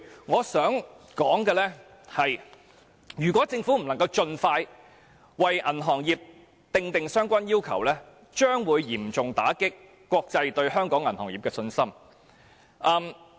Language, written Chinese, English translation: Cantonese, 我想指出，如果政府不能盡快為銀行業訂定相關要求，將會嚴重打擊國際對香港銀行業的信心。, I would like to point out that if the Government cannot make the relevant requirements for the banking industry as soon as possible it will severely undermine the international communitys confidence in Hong Kong